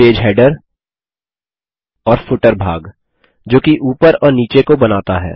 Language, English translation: Hindi, Page Header and Footer section that form the top and the bottom